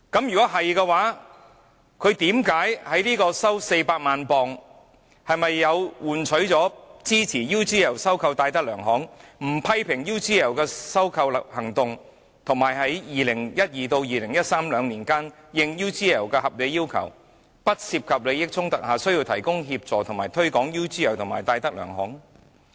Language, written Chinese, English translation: Cantonese, 若是，他收取400萬英鎊，是否換取他支持 UGL 收購戴德梁行、不批評 UGL 的收購行動，以及在2012年至2013年兩年期間，應 UGL 的合理要求，在不涉及利益衝突下，需要提供協助以推廣 UGL 及戴德梁行？, If so did he accept £4 million in exchange for his support for UGLs acquisition of DTZ for not making comments on UGLs acquisition and for providing assistance in the promotion of UGL and DTZ from 2012 to 2013 as UGL may reasonably require as long as no conflict of interest is involved?